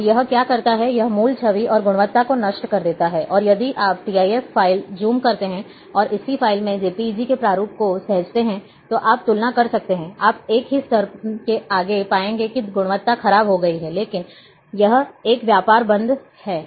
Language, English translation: Hindi, And what it does, it destroys the original image, and quality as well, and you can compare, by, if you zoom TIF file, and the same file, if you save as JPEG, you zoom side by side, of the same level you would find the quality has deteriorated, but it’s a trade off